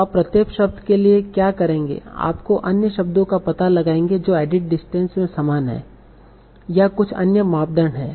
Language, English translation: Hindi, So what you will do for each word you will find out other words that are similar in at a distance or some other criteria